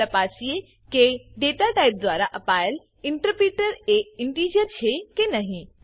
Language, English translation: Gujarati, Lets check whether the datatype allotted by the interpreter is integer or not